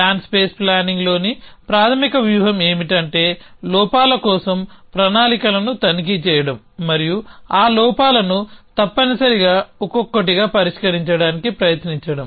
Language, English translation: Telugu, So, the basic strategy in plan space planning is to inspect the plan for flaws and try to resolve those flaws one by one essentially